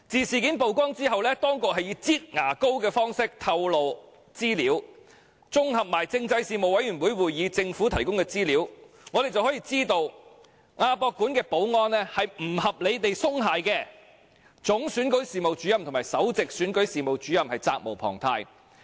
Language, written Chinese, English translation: Cantonese, 事件曝光後，當局以"擠牙膏"的方式透露資料，綜合政制事務委員會會議上政府提供的資料，我們得悉亞博館的保安不合理地鬆懈，就此，總選舉事務主任及首席選舉事務主任責無旁貸。, After the incident was exposed the authorities disclosed information like squeezing toothpaste out of a tube . Consolidating the information provided by the Government at meetings of the Panel on Constitutional Affairs we have learnt that the security of AsiaWorld - Expo is unreasonably lax . In this connection the Chief Electoral Officer and the Principal Electoral Officer have an unshirkable responsibility